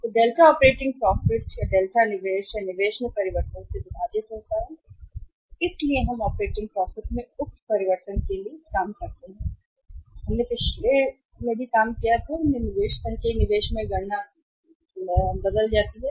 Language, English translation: Hindi, So, Delta operating profit divide by the Delta investment or the change in the investment, so we have worked out the say change in operating profit here and we have walked out in the previous calculations change in the investment cumulative investment